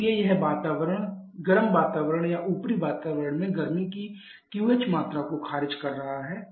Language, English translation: Hindi, But it is rejecting Q H amount of heat to the warm environment or to the upper atmosphere